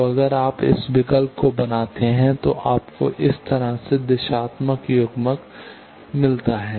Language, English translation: Hindi, So, if you make this choice then you get directional coupler like this